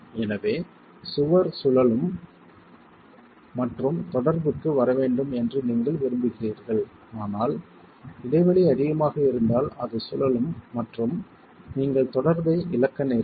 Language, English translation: Tamil, So, you want the wall to be able to rotate and come into contact, but if the gap is too much, it's just going to rotate and you will lose contact